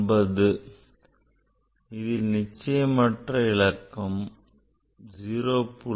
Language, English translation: Tamil, Again, this the doubtful digit is 0